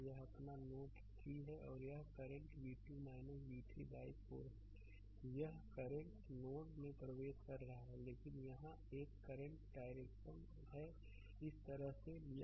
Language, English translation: Hindi, So, this is your this is your node 3 and this current is v 2 minus v 3 by 4, this current is entering into the node right, but another current here direction is taken this way